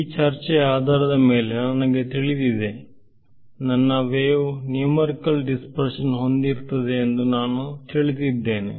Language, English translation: Kannada, I am saying, I know based on this discussion I know that my wave will have numerical dispersion I want to mitigate that effect